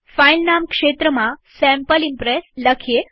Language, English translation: Gujarati, In the filename field type Sample Impress